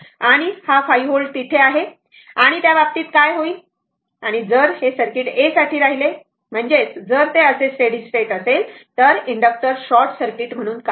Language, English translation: Marathi, And this 5 volt is there and in that case what will happen and if circuit remains for a I mean if it is like this then at steady state, the inductor will act as a short circuit right